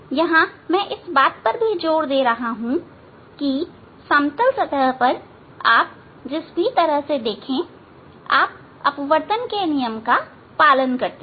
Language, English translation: Hindi, here I am trying to give emphasize that that in plane surface the way you deal you follow the laws of refraction